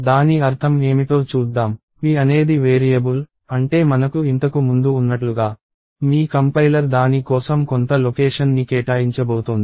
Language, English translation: Telugu, So, let us see what that means, so p is a variable as we had before which means, your compiler is going to allocate some location for it